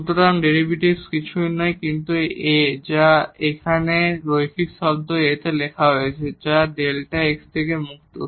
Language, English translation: Bengali, So, the derivative is nothing, but this A which is written here in the linear term A which is free from delta x